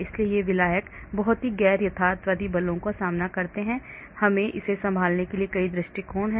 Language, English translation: Hindi, so these solvent face a very non realistic forces, so there are many approaches to handle that